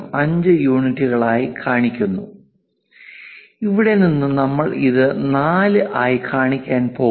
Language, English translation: Malayalam, 5 units and from here to here, we are going to show it as 4